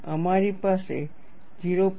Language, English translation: Gujarati, We have this as 0